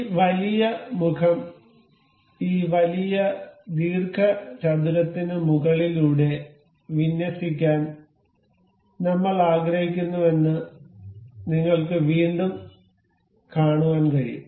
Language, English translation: Malayalam, Once again, you can see say I want to align this particular face over this larger rectangle